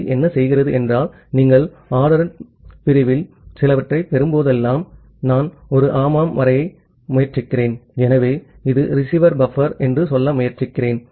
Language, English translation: Tamil, So, what TCP does that whenever you are receiving certain out of order segment say for example, I am just trying to draw a yeah, so, I am trying to say this is the receiver buffer